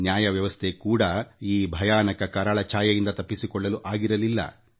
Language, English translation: Kannada, The judicial system too could not escape the sinister shadows of the Emergency